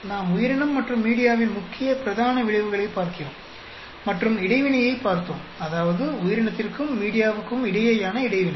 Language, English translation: Tamil, We are looking at the main, principal effects on the organism and media and interaction which we saw, that is the interaction between the organism and media